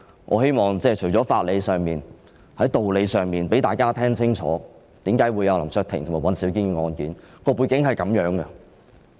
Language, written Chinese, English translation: Cantonese, 我希望在法理上、道理上讓市內民理解為何有林卓廷議員和尹兆堅議員的案件。, Basing on legal principles and reason I hope that the public would understand why there is such a case involving Mr LAM Cheuk - ting and Mr Andrew WAN